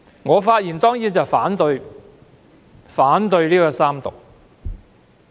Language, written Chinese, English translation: Cantonese, 我當然反對三讀《條例草案》。, I certainly oppose the Third Reading of the Bill